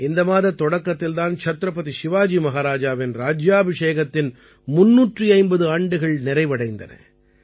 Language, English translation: Tamil, The beginning of this month itself marks the completion of 350 years of the coronation of Chhatrapati Shivaji Maharaj